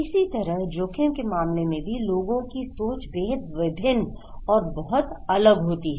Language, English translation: Hindi, Similarly, in case of risk people have very different mindset of different way of thinking